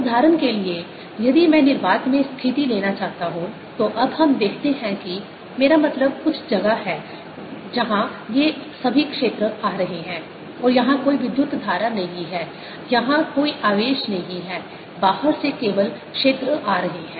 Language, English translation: Hindi, for example, if i were to take a situation in free space, ah, let's see in, ah, ah, i mean some space where all these fields are coming and there's no current here, no charge here, only fields are coming from outside